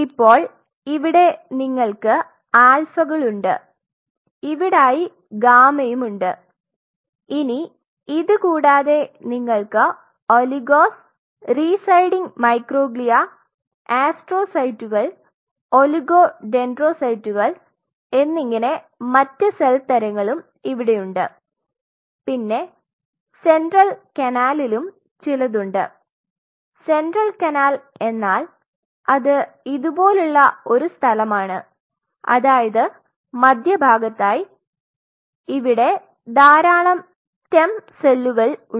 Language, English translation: Malayalam, Now, apart from it you have a series of if you have the alphas here you have the gamma somewhere out here you have a series of other cell types which are present here which includes your oligos, residing microglia and oligos or oligo dendrocytes residing microglia astrocytes and there are some along the central canal which is essentially a location like this just at the center you have lot of stem cells